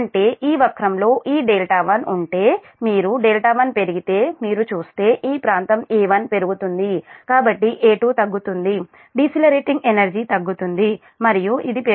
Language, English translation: Telugu, that means, if this delta one in this curve, if you look, if you delta one, you increase, then this area a one will increase, so a two will decrease, decelerating energy will decrease and this will increase